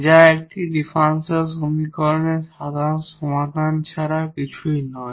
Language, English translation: Bengali, So, that will be the general solution of the given homogeneous differential equation